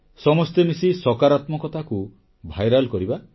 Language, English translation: Odia, Let's come together to make positivity viral